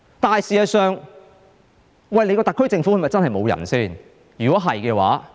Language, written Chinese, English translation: Cantonese, 可是，事實上，特區政府是否真的沒有人才呢？, But does the SAR Government truly have no talents working for it?